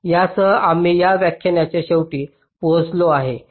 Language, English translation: Marathi, so so with this we come to the end of this lecture